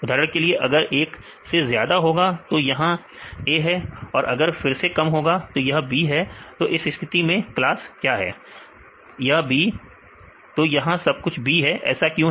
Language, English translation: Hindi, For example, it is more than 1, this is A; if it is less than 1; it is B